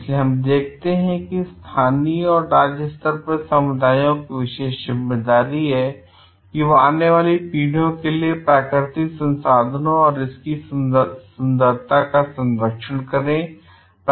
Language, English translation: Hindi, So, what we see that the communities at the local and even state level have special responsibility to conserve natural resources and beauty for the future generations